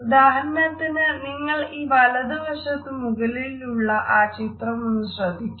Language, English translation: Malayalam, For example, if you look at this particular photograph which is there on the right hand top corner